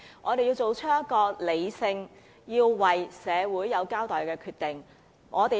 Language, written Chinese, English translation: Cantonese, 我們要作出一個理性、向社會有所交代的決定。, We have to make a sensible decision that is accountable to society